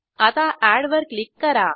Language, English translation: Marathi, Now lets click on Add button